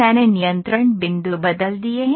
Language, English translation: Hindi, I have just changed the control points